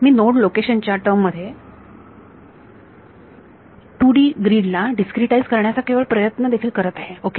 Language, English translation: Marathi, I am just trying to discretise a 2D grid in terms of node locations as well ok